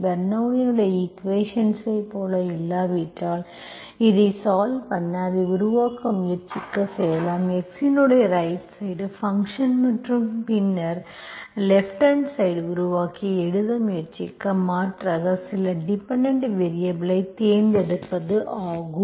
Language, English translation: Tamil, This is how you solve, even if it does not look like Bernoulli s equation, we can try making it, right hand side function of x and then, and then you make the left hand side, try to write by, replace, by choosing some dependent variable, okay